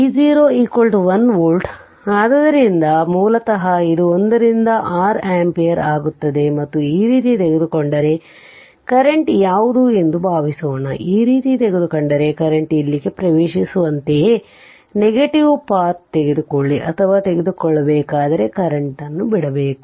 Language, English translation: Kannada, So, V 0 is 1 volt so, basically it will become 1 by 6 ampere 1 by 6 ampere right and, if you if you find and if you take this way that what is the current, suppose if I take this way that what is the current entering here like entering here, the way you take or if you take the current leaving this one